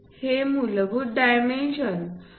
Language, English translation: Marathi, These basic dimensions 2